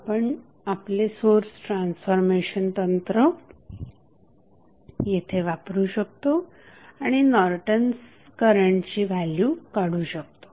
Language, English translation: Marathi, We can utilize our source transformation technique and then we can find out the values of Norton's current